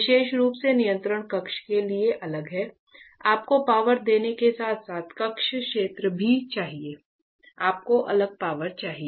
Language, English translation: Hindi, So, especially separately for the control panel, you need to give power as well as for the chamber area; you need separate power